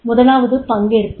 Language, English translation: Tamil, First is participation